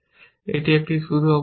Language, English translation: Bengali, That is my starting state